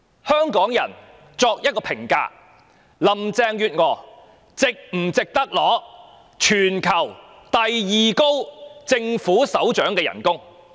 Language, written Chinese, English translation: Cantonese, 香港人可作一評價，林鄭月娥是否值得收取全球第二高的政府首長薪酬呢？, Hong Kong people can judge on their own whether Carrie LAM deserves the second highest pay among government leaders in the world